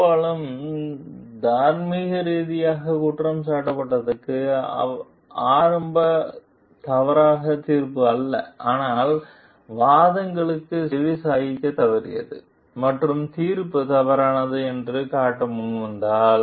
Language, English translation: Tamil, Often what is morally blameworthy is not an initial mistaken judgment, but the failure to heed arguments and if it is brought forward to show that the judgment is mistaken